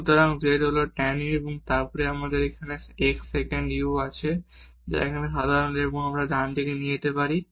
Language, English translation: Bengali, So, z is tan u and then we have here x the sec u it is common here, we can bring to the right hand side